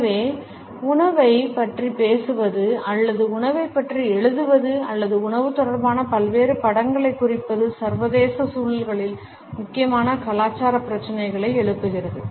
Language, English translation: Tamil, And therefore, talking about food or writing about food or representing various images related with food raise important cultural issues in international contexts